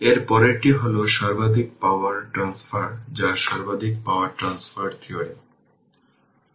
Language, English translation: Bengali, Next one is the maximum power transfer right that is maximum power transfer theorem